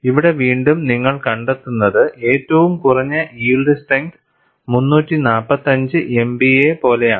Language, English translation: Malayalam, And here again, you find the minimum yield strength is something like 345 MPa